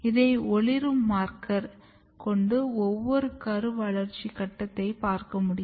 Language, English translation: Tamil, And here you can very clearly see with the fluorescent marker, how a different developmental stages of the embryo